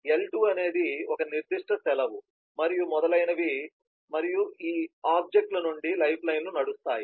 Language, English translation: Telugu, l2 is a specific leave and so on and there could be the lifelines would run from these objects